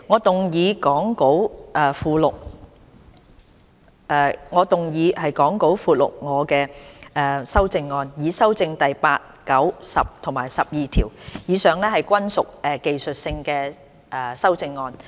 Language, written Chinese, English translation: Cantonese, 主席，我動議講稿附錄我的修正案，以修正第8、9、10及12條，以上均屬技術性修正案。, Chairman I move my amendments to amend clauses 8 9 10 and 12 as set out in the Appendix to the Script . These amendments are all technical in nature